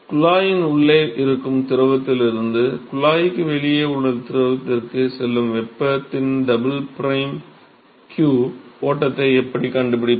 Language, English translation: Tamil, Then what about how do we find q double prime flux of heat that goes from the fluid inside the tube to the fluid outside the tube